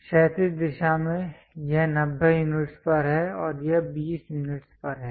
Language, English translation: Hindi, In the horizontal direction it is at 90 units and this is at 20 units